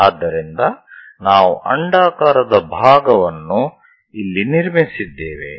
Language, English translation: Kannada, So, we have constructed part of the ellipse here